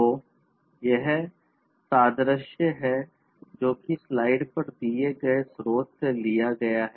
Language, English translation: Hindi, So, this analogy has been taken from the source that is given on the slide